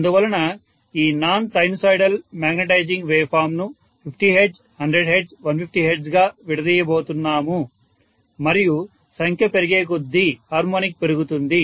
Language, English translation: Telugu, So we are going to have this non sinusoidal magnetizing waveform being decomposed into 50 hertz, 100 hertz, 150 hertz and so on and as the harmonic increases the number increases